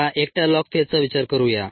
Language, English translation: Marathi, now let us consider the log phase alone